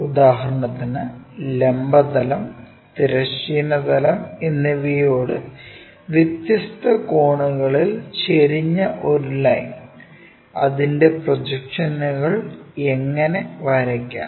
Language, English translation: Malayalam, If, that violates for example, in general a line which is inclined at different angles with the vertical plane and also the horizontal plane, then how to draw it is projections